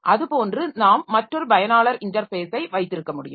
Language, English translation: Tamil, So like that we can have another user interface